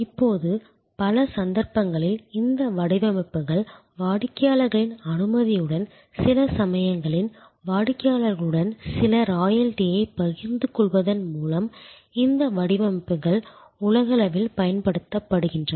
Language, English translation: Tamil, Now, in many cases these designs with customers permission and sometimes sharing of some royalty with the customer this designs are use globally